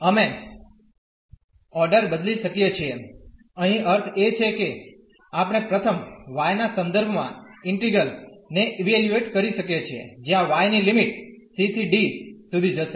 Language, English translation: Gujarati, We can change the order; here meaning that we can first evaluate the integral with respect to y, where the limits of y will go from c to d